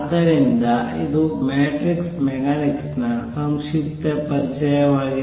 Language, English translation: Kannada, So, this is a brief introduction to matrix mechanics